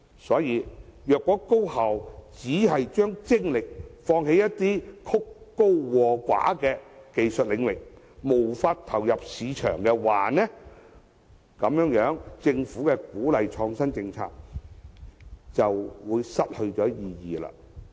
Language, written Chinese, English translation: Cantonese, 所以，如果高校只把精力放在曲高和寡的技術領域上，無法投入市場，那麼政府鼓勵創新政策便會失去意義。, Hence if the higher education institutions put all their efforts on highbrow technologies that few people understand and their products are unmarketable then the Governments policy of encouraging innovation will be meaningless